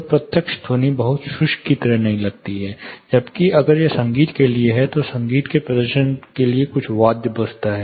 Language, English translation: Hindi, So, the direct sound does not seem like very dry phenomena, whereas if it is for music, some instrument is played there for musical performances